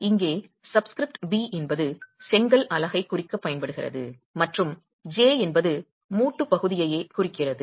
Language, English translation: Tamil, Here the subscript B is used to refer to the brick unit and J is referring to the joint itself